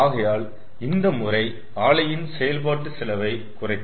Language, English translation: Tamil, so that will reduce our ah running cost of the plant